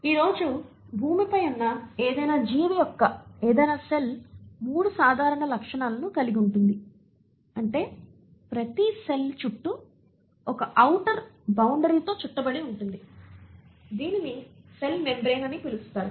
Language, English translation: Telugu, Any cell of any organism which is existing on earth today has 3 common features is that is each cell is surrounded by an outer boundary which is called as the cell membrane